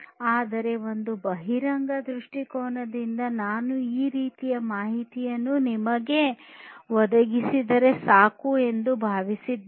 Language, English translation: Kannada, But, from an expository point of view I think this kind of information whatever I have provided to you is sufficient